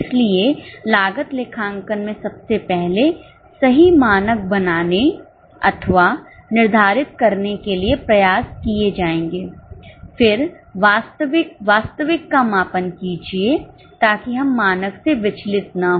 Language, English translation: Hindi, So, in cost accounting, the efforts will be made first to make or set a correct standard, then measure the actual, try to see that we do not deviate from the standard